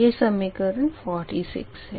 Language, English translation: Hindi, this is equation forty seven